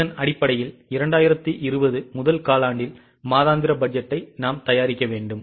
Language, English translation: Tamil, Based on this, we need to prepare monthly budget for the quarter, first quarter 2020